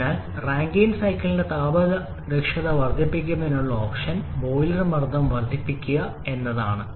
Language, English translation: Malayalam, So, the first option of increasing the thermal efficiency for Rankine cycle is to increase the boiler pressure